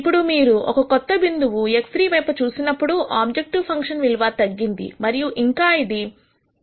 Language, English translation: Telugu, Now, when you look at the new point X 3 the objective function value has decreased even more it has become minus 2